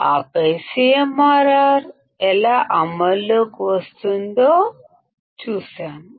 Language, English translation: Telugu, And then we have seen how CMRR comes into play